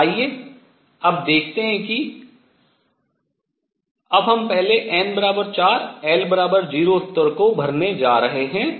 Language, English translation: Hindi, So, let us see now we are going to now first fill n equals 4 l equals 0 level